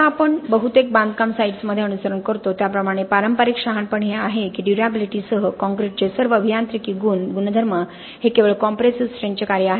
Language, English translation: Marathi, Now the conventional wisdom as we follow in most construction sites is that all engineering properties of the concrete including durability are just a function of the compressive strength